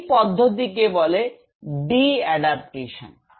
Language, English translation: Bengali, This process is called the de adaptation